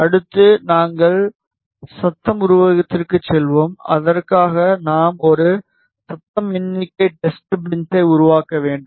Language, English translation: Tamil, Next, we will move to noise figure; for that we have to create a noise figure test bench